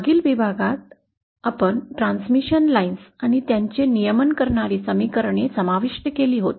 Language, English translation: Marathi, In the previous module we had covered transmission lines and the equations governing them